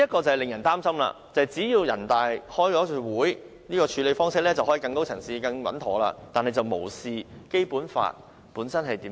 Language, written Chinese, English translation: Cantonese, 這令人很擔心，因為只要人大常委會舉行一次會議，便可以更高層次、更穩妥地作出處理，但卻無視《基本法》的規定。, This is worrying for NPCSC needs only convene a meeting to address the issue from a higher level and with a more secure approach simply ignoring the provisions of the Basic Law